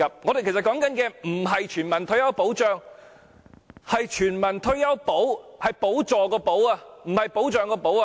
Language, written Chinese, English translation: Cantonese, 其實，我們說的不是全民退休保障，而是全民退休"補"，是補助的補，而不是保障的"保"。, Actually what we are talking about is not universal retirement protection . Rather it is universal retirement subsidy . It is a subsidy rather than protection